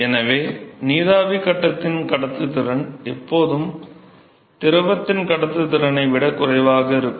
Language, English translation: Tamil, So the conductivity of a vapor phase is always lower than the conductivity of the liquid